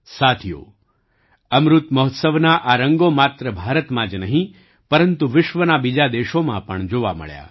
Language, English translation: Gujarati, Friends, these colors of the Amrit Mahotsav were seen not only in India, but also in other countries of the world